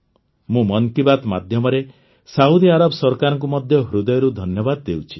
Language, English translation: Odia, Through Mann Ki Baat, I also express my heartfelt gratitude to the Government of Saudi Arabia